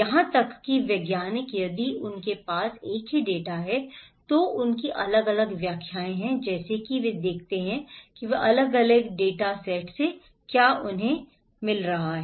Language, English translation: Hindi, Even the scientist, if they have same data they have different interpretations as if they look like they are coming from different data set